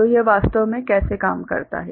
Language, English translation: Hindi, So, how does it really work